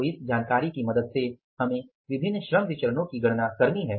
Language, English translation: Hindi, So, with the help of this information we are required to calculate the different labor variances